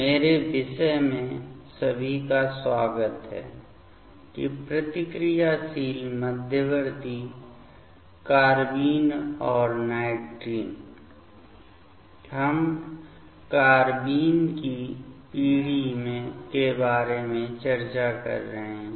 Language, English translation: Hindi, Welcome everybody to my topic that Reactive Intermediates Carbene and Nitrene, we are discussing about the Generation of the Carbene